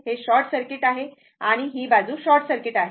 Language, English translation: Marathi, This is short circuit and this side as it is short circuit